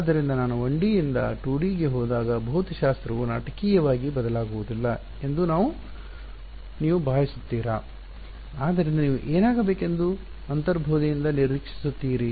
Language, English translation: Kannada, So, do you think I mean the physics will not dramatically change when I go from 1D to 2D, so what do you intuitively expect to happen